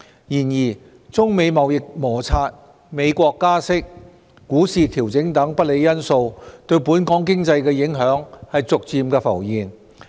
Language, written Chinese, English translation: Cantonese, 然而，中美貿易摩擦、美國加息、股市調整等不利因素對本港經濟的影響逐漸浮現。, However impacts of unfavourable factors such as the trade tensions between China and the United States the interest rate hike in the United States stock market corrections etc . on Hong Kong economy have gradually surfaced